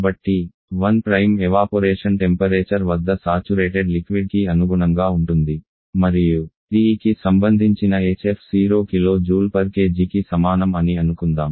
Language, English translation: Telugu, So 1 Prime correspond to saturated liquid at the evaporation temperature and let us assume hf corresponding to T to be equal 0 kilo joule per kg